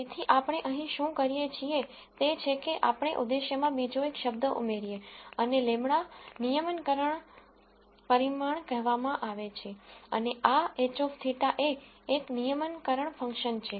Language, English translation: Gujarati, So, what we do here is we add another term to the objective and lambda is called the regularization parameter and this h theta is some regularization function